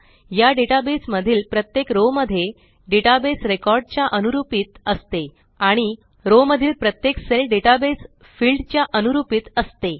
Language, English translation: Marathi, Each row in this database range corresponds to a database record and Each cell in a row corresponds to a database field